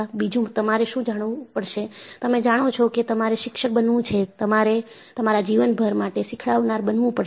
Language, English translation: Gujarati, And, what you will have to know is, you know if you have to be a teacher, you have to be a learner all through your life